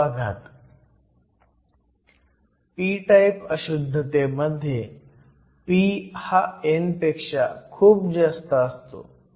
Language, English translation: Marathi, So, in the case of a p type impurity, we find that p is much greater than n